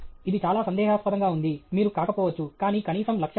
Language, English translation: Telugu, It’s very doubtful; you may not become, but at least the goal is there